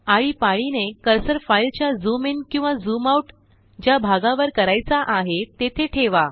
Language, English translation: Marathi, Alternately, place the cursor over the part of the file that you need to zoom into or out of